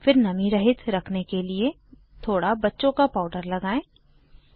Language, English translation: Hindi, Then apply some baby powder over it to keep it moisture free